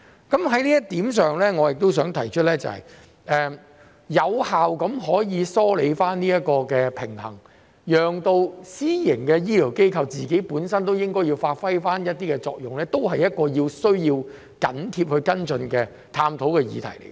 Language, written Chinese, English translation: Cantonese, 就此，我想提出的是，有效地梳理這方面的平衡，讓私營醫療機構發揮本身應有的作用，也是一項需要密切跟進和探討的議題。, In this regard I wish to highlight that the Government should also follow up closely and explore ways to effectively maintain the balance so that the private healthcare institutions can play to their strengths